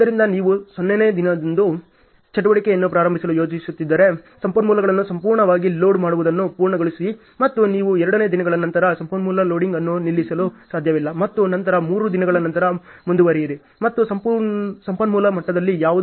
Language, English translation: Kannada, So, if you are planning to start the activity on day 0, so, finish the completely loading the resources and you cannot stop the resource loading after 2 days and then continue after 3 days and so on which is not possible in resource leveling